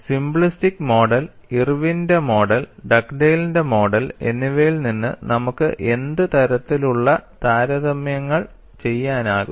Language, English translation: Malayalam, What is the kind of comparisons that we can make from simplistic model, Irwin’s model and Dugdale’s model